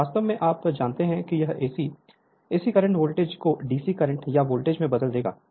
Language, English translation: Hindi, Here actually you know it will be your convert AC, AC current voltage to DC current or voltage this right